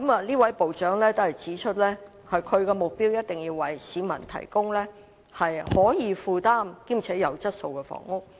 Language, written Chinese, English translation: Cantonese, 這位部長級官員指出，他的目標是一定要為市民提供可以負擔兼具質素的房屋。, This ministerial official pointed out that his objective is definitely to provide the people with affordable housing of quality